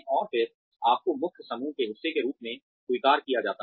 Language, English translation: Hindi, And then, you are accepted as part of the main group